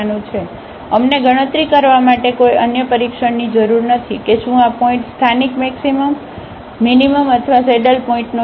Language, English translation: Gujarati, And therefore, we do not need any other test to compute whether this point is a point of a local maximum minimum or a saddle point